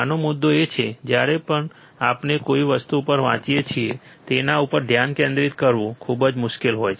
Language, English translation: Gujarati, the point of this is whenever we look at something we read at something, it is very hard to concentrate